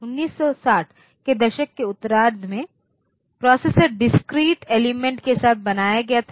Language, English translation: Hindi, So, micro, it is in late 1960s, processors built with discrete element